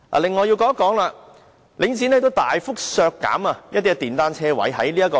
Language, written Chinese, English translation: Cantonese, 另外，我也想說說領展大幅削減電單車車位。, Moreover I also wish to talk about the substantial reduction of motorcycle parking spaces by Link REIT